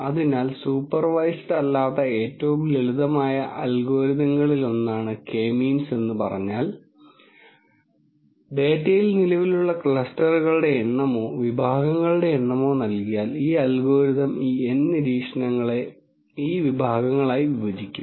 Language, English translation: Malayalam, So, having said all of that K means is one of the simplest unsupervised algorithms where, if you give the number of clusters or number of categories that exist in the data then, this algorithm will partition these N observations into these categories